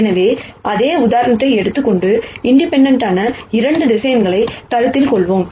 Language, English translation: Tamil, So, take the same example and let us consider 2 other vectors, which are independent